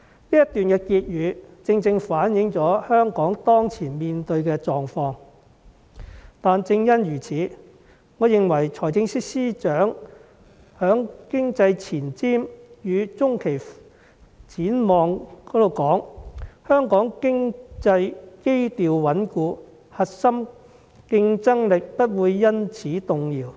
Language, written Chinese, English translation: Cantonese, "此段結語反映了香港當前面對的狀況，正因如此，我認為財政司司長在"二零二零年經濟前瞻與中期展望"中說"香港經濟基調穩固，核心競爭力不會因此動搖。, These concluding remarks reflect the current situation faced by Hong Kong . For this reason I believe the high - sounding statement made by the Financial Secretary in Economic Outlook for 2020 and Medium - term Outlook that Hong Kongs economic fundamentals remain solid and therefore our core competitiveness will not be shaken